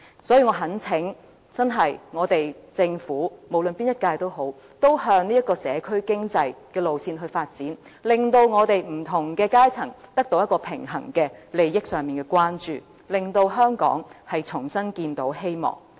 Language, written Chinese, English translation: Cantonese, 所以，我懇請政府——無論是哪一屆政府——也向社區經濟的路線發展，令不同階層得到平衡的利益上的關注，令香港重新看見希望。, I therefore urge the Government―the current - term Government or any other governments―to go in the direction of developing the local community economy so as to enable the interests of different social strata to receive equal attention and give new hope to Hong Kong